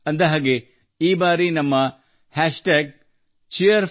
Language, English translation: Kannada, And yes, this time our hashtag is #Cheer4Bharat